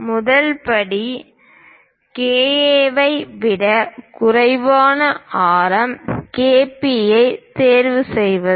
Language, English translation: Tamil, The first step is choose a radius KP less than KA